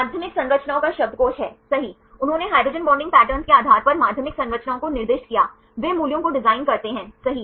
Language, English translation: Hindi, Dictionary of Secondary Structure of Proteins right, they assigned the secondary structures based on hydrogen bonding pattern right, they design the values right